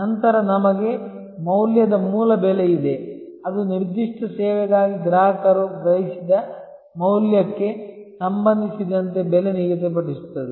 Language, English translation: Kannada, Then, we have value base pricing; that is pricing with respect to the value perceived by the consumer for that particular service